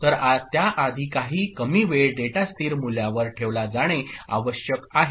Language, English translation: Marathi, So, before that some minimum amount of time, data must be held at a stable value